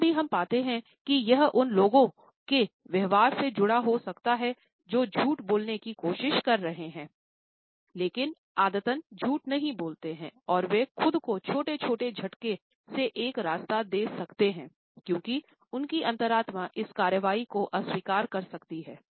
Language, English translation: Hindi, Sometimes, we find that it can be associated with the behaviour of those people who are trying to pass on a lie, but are not habitual liars and they may give themselves a way with these small grimaces because their conscience may disapprove of this action